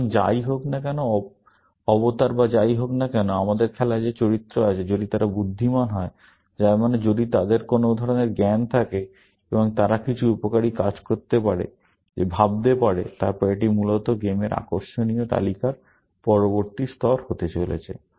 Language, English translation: Bengali, So, whatever, avatar or whatever, characters we have in game; if they are intelligent, which means if they have some knowledge of some kind, and they can do some useful, what you may call, thinking; then, that is going to be the next level of interesting list in game, essentially